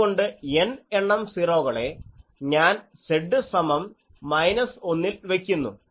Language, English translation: Malayalam, So, capital N number of 0s I am putting at Z is equal to minus 1